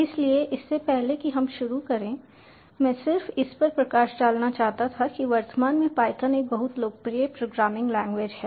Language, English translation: Hindi, in this lecture we are going to introduce to you the language, the python programming language